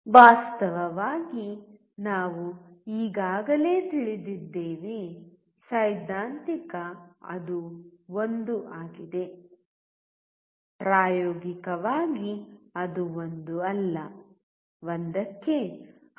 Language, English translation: Kannada, In fact, we have already known, the theoretical it is 1; experimentally it will be close to 1 not 1 all right